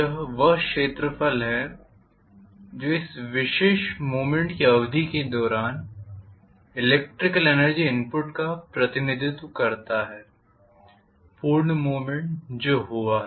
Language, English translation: Hindi, That is the area which is representing the electrical energy input during this particular duration of the movement complete movement that has taken place